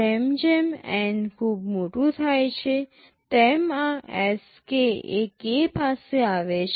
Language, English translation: Gujarati, As N becomes very large this Sk approaches k